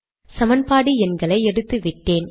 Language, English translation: Tamil, And of course I have removed the equation numbers